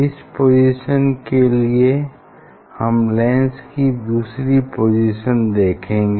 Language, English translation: Hindi, now you try to find out the second position of the lens